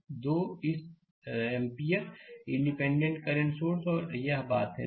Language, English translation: Hindi, We have 2 your this 2 ampere independent current source and this thing